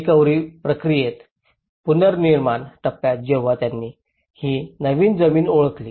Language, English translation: Marathi, In the recovery process, in the reconstruction stage when they identified this new land